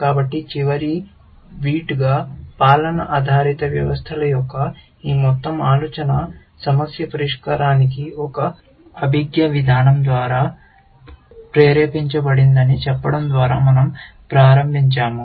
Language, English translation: Telugu, So, as the last bit, we started off by saying that this whole idea of rule based systems was motivated by a cognitive approach to problem solving